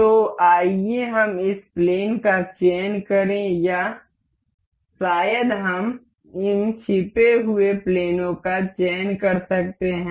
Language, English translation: Hindi, So, let us select this plane or maybe we can select from this hidden planes